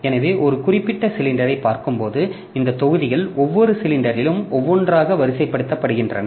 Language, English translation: Tamil, So, as I was telling, so looking into a particular cylinder, so these blocks are marked sequentially one by one on each cylinder